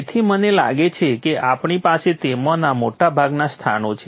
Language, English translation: Gujarati, So I think we have most of them in place